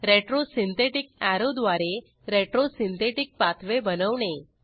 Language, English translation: Marathi, Let us add a retro synthetic arrow, to show the retro synthetic pathway